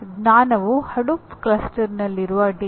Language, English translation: Kannada, Knowledge is data in Hadoop cluster